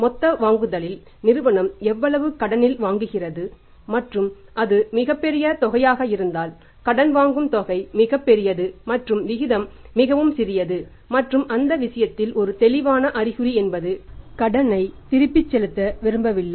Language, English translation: Tamil, Out of the total purchase how much purchase is the firm is making on credit and if it is a very large amount credit purchase amount is very large and the ratio is very, very small and time in that case is a clear indication that the did not want to make the payment they want to default